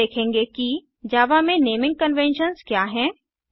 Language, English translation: Hindi, We now see what are the naming conventions in java